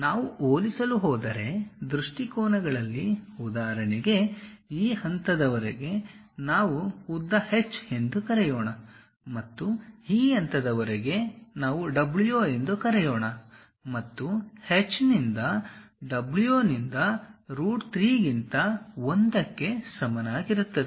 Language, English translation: Kannada, Similarly in the perspective views if we are going to compare; for example, this point to this point let us call length h, and this point to this point let us call w and if h by w is equal to 1 over root 3